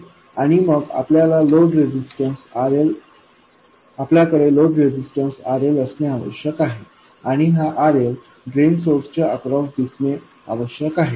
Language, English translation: Marathi, And then we have a load resistance RL and this RL must appear across drain source